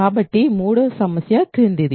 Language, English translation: Telugu, So, the third problem is the following